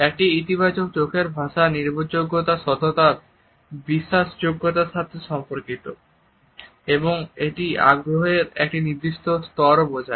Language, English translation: Bengali, A positive eye contact is related with credibility honesty trustworthiness and it also shows a certain level of interest